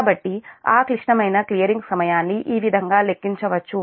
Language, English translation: Telugu, so this is how one can compute that critical clearing time